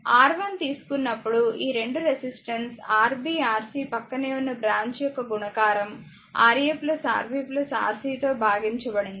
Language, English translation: Telugu, Whatever I shown look R 1 is equal to when you take R 1 product of this adjacent branch Rb Rc by Ra plus Rb plus Rc